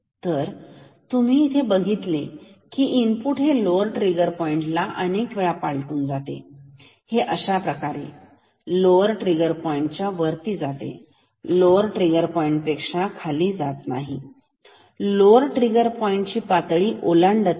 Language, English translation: Marathi, So, even if you see the input is actually crossing the lower trigger point several times here going up above the lower trigger point, going down the lower trigger point it is crossing the lower trigger point